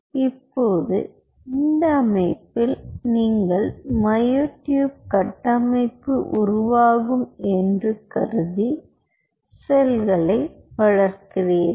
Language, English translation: Tamil, now, on this setup, you grow the cells, assuming that they will form structures like this, which are the myotubes